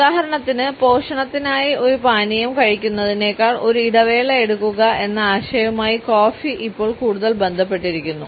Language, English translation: Malayalam, For example, coffee is now associated more with the idea of taking a break than with taking a drink for nourishment